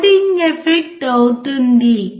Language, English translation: Telugu, Loading effect will happen